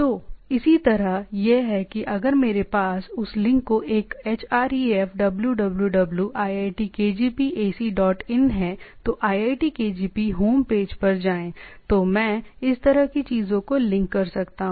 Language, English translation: Hindi, So, similarly it is like a if I have that link a href www IITKgp ac dot in then go to IITKgp home page, so I can have this sort of a linking to the things